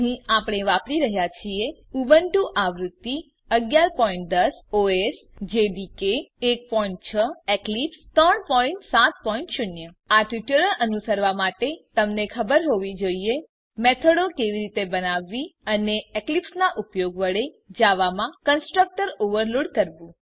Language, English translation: Gujarati, Here we are using Ubuntu version 11.10 OS Java Development kit 1.6 And Eclipse 3.7.0 To follow this tutorial you must know how to create methods and To overload constructor in java using eclipse